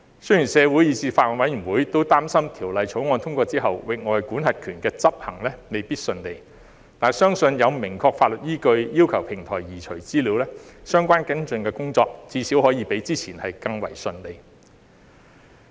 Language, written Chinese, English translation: Cantonese, 雖然社會以至法案委員會都擔心，《條例草案》通過後，域外管轄權的執行未必順利，但相信有了明確的法律依據要求平台移除資料，相關跟進工作至少可以比之前更順利。, Although the community and even the Bills Committee are concerned that the enforcement of extraterritorial jurisdiction after the passage of the Bill may not go smoothly it is believed that with a clear legal basis to request the platforms to remove data the relevant follow - up work will at least be smoother than before